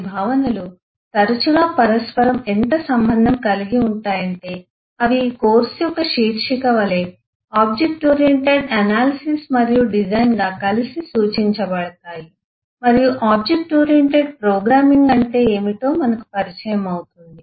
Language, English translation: Telugu, often they are so interrelated that eh they are referred together as object oriented analysis and design, as is the title of this course, and we will get introduced to what is object oriented programming